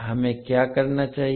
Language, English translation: Hindi, What we have to do